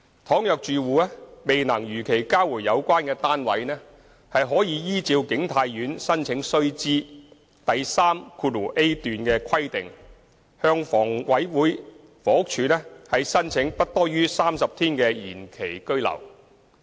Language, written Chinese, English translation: Cantonese, 倘若住戶未能如期交回有關單位，可依照景泰苑《申請須知》第 3a 段的規定，向房屋署申請不多於30天的延期居留。, If they are unable to return the unit within the specified period they should submit an application to the Housing Department HD for an extension of stay up to 30 days in accordance with paragraph 3a of the Application Guide of King Tai Court